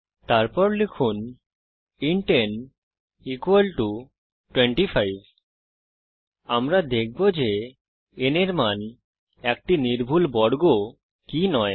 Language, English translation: Bengali, ThenType int n = 25 We shall see if the value in n is a perfect square or not